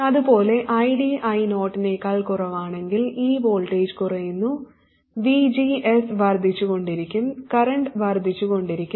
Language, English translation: Malayalam, Similarly, if ID is less than I 0, this voltage will keep on falling, VGS will go on increasing and the current will go on increasing